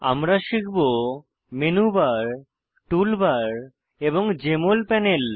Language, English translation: Bengali, We will learn about Menu Bar, Tool bar, and Jmol panel